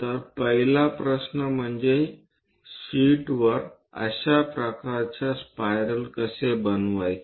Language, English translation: Marathi, So, the first question is how to construct such kind of spirals on sheets